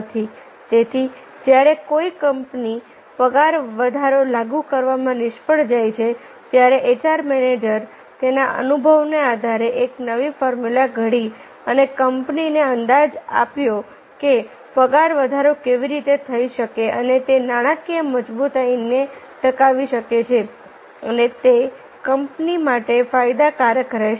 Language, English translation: Gujarati, so when a company fails to implement the pay hike, hr manager, based on an experience, devise a new formula to bring about a turn around and gave a estimation to a company how the pay hike can occur and that can sustain the financial strength of the company and it will be beneficial of the company